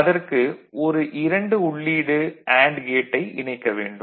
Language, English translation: Tamil, So, we will put a two input AND gate